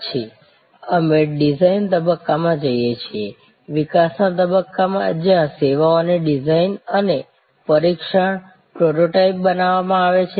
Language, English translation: Gujarati, Then, we go to the design phase, the development phase, where services design and tested, prototype runs are made